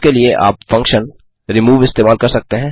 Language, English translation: Hindi, For this, one could use the function remove